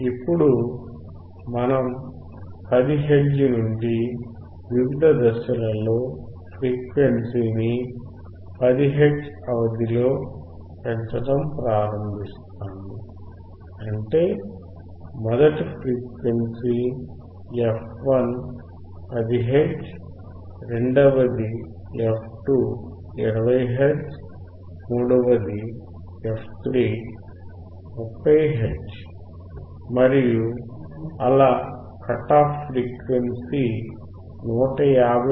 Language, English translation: Telugu, Now we will start increasing the frequency gradually from 10 hertz in a step of 10 hertz; that means, first frequency f1 is 10 hertz, second f2 is 20 hertz, f3 is 30 hertz and so on until your cut off frequency fc, which is 159